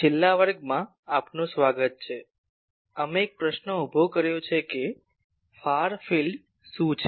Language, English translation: Gujarati, Welcome in the last class, we have raised the question that, what is the far field